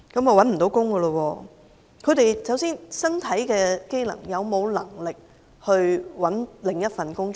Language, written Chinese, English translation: Cantonese, 首先，他們的身體機能是否可讓他們尋找另一份工作呢？, First of all do their bodily functions allow them to find another job?